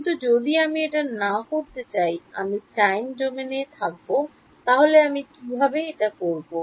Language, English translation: Bengali, If I do not want to do that, I want to stay in the time domain then how do I deal with